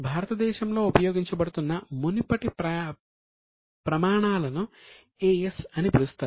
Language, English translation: Telugu, Now the earlier set of standards which were being used in India were called as AS